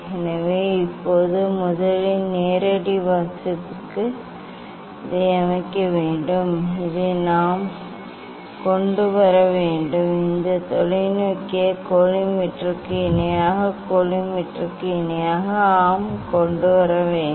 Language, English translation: Tamil, So now, first for direct reading we have to set this we have to bring this we have to bring this telescope parallel to the collimator parallel to the collimator yes